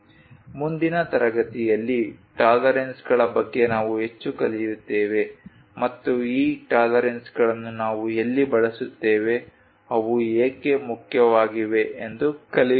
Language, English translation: Kannada, In the next class, we will learn more about tolerances and where we use these tolerances, why they are important